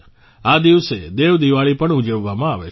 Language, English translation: Gujarati, 'DevDeepawali' is also celebrated on this day